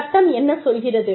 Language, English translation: Tamil, What does the law say